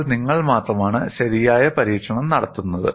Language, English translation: Malayalam, Then only you are doing a proper experimentation